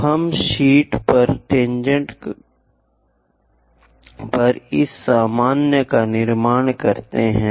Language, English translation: Hindi, So, let us construct this normal on tangent on sheet